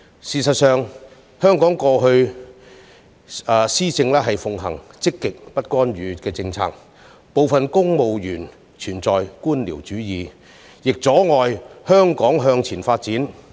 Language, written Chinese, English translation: Cantonese, 事實上，香港以往一直奉行積極不干預政策，部分政府部門存在官僚主義，阻礙香港前進。, As a matter of fact Hong Kong had been pursuing a policy of positive non - intervention in the past where bureaucracy was present in some government departments that hindered Hong Kongs progress